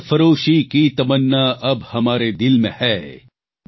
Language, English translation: Gujarati, Sarfaroshi ki tamanna ab hamare dil mein hai